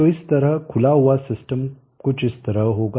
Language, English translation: Hindi, So a decoupled system like that will be something like this